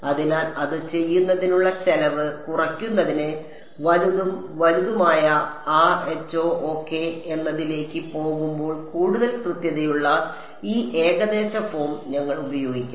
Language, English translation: Malayalam, So, to reduce the cost of doing that, we should use this approximate form which is more at which is accurate as we go to larger and larger rho ok